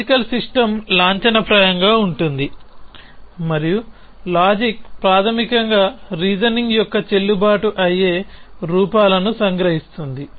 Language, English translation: Telugu, So, the logical system is formal and the logic is basically captures valid forms of reasoning